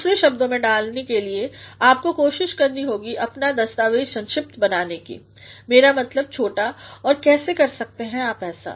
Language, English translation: Hindi, To put it into other words you must try to make your document concise; I mean short and how can you do that